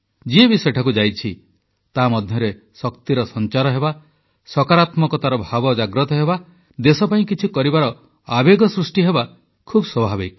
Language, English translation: Odia, Whoever visits the place, naturally experiences a surge of inner energy, a sense of positivity; the resolve to contribute something to the country